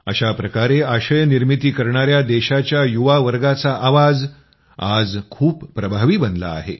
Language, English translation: Marathi, The voice of the youth of the country who are creating content has become very effective today